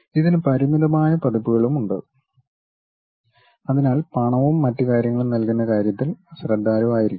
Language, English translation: Malayalam, It has limited versions, so one has to be careful with that in terms of paying money and other things